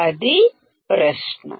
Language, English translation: Telugu, That is the question